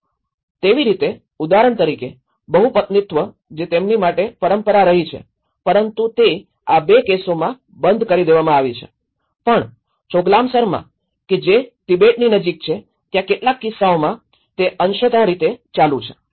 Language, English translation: Gujarati, So, like that, like for example the polyandry which has been a tradition for them but that has been discontinued in these 2 cases but whereas, in Choglamsar which is close to the Tibetan in some cases they have partially continued